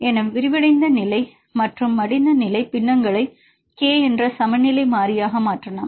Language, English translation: Tamil, So, we have the unfolded state and the folded state fractions we can convert this information into equilibrium constant that is k